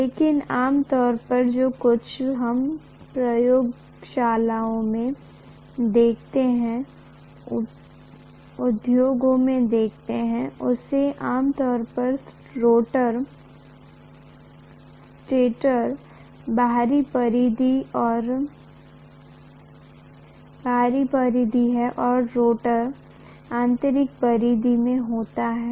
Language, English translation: Hindi, But whatever we normally see in the laboratories, see in the industries, normally the stator is outer periphery and rotor is going to be in the inner periphery